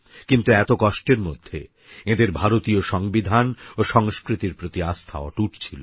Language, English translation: Bengali, Despite that, their unwavering belief in the Indian Constitution and culture continued